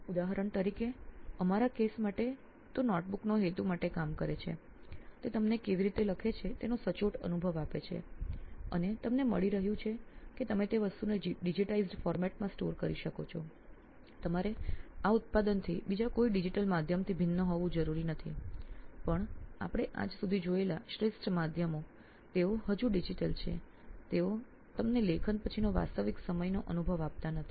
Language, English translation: Gujarati, For example for our case it is serving the purpose of a notebook, it is giving you the exact similar experience of how you write and you are getting that you can store that thing in a digitised format whichever you right you know it is in your own handwriting, you do not have to like differ from this product to any other digital medium, even the best mediums that we see around till today they are still digital, they do not give you the real time experience after writing